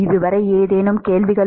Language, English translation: Tamil, Any questions on this so far